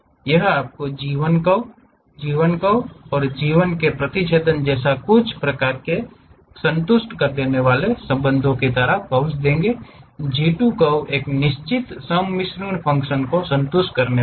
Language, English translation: Hindi, It satisfies certain kind of relations like your G 1 curve, G 2 curves and the intersection of these G 1, G 2 curves supposed to satisfy a certain blending functions